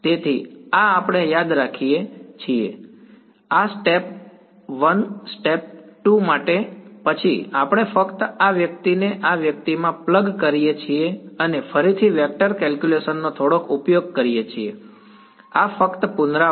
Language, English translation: Gujarati, So, this we remember so, this for step 1 step 2 then we just plug this guy into this guy and use a little bit of vector calculus again this is just revision